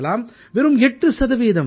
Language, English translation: Tamil, Just and just 8%